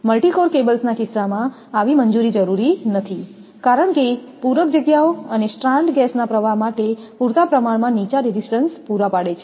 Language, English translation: Gujarati, In case of multi core cables, such clearance is not necessary because the filler spaces and strand provide a sufficiently low resistance path for the flow of gas